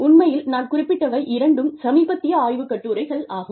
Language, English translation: Tamil, Actually, these are two recent research papers, that I have referred to